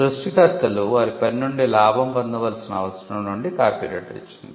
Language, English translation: Telugu, Copyright came out of the necessity for creators to profit from their work